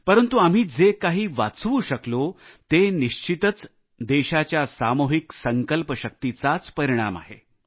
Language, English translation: Marathi, But whatever we have been able to save is a result of the collective resolve of the country